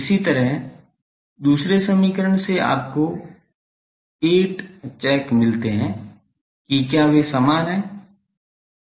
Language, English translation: Hindi, Similarly, from the other equation you get 8 check whether they are equal